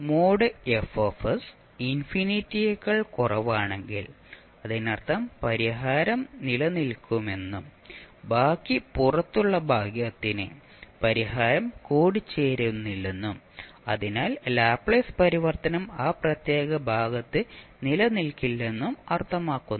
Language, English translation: Malayalam, That mod of Fs if it is less than infinity it means that the solution exists and for rest of the section the outside the region the solution will not converge and therefore the Laplace transform will not exist in that particular region